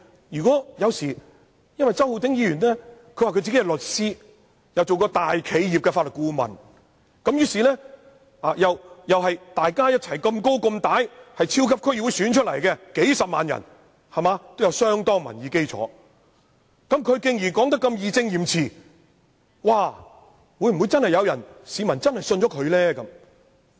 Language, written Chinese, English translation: Cantonese, 不過，周浩鼎議員自稱是律師，又曾擔任大企業的法律顧問，而且和我一樣，在超級區議會功能界別經數十萬選民選出，具有相當民意基礎，既然他說得這麼義正詞嚴，會否真的有市民相信他的話呢？, However as Mr Holden CHOW calls himself a lawyer has been the legal adviser of a big enterprise and is a Member who has a broad electorate base as he was returned with hundreds of thousands of votes in the District Council Second Functional Constituency like me would members of the public really believe in what he said when he was speaking so righteously and seriously?